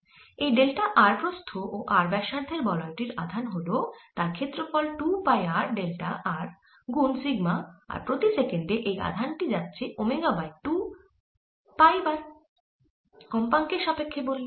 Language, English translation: Bengali, the charge in this ring of thick width delta r is going to be its area: two pi r, delta r times sigma and per second this charge passes omega over two pi times on the frequency times